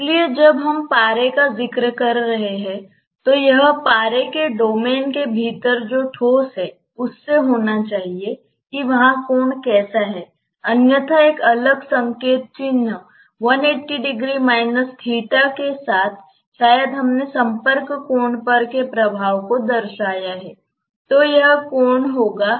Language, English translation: Hindi, So, when we are referring to the mercury it should be from the solid within the mercury domain that is how the angle is there, otherwise with a different notation maybe one eighty minus theta also we taken as an equivalent representation of the effect on the contact angle